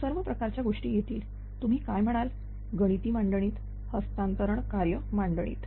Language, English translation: Marathi, So, all some things will come in the what you call in the mathematical model right, in the transfer function model